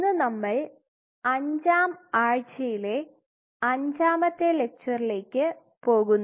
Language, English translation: Malayalam, So, we are into week 5 lecture 5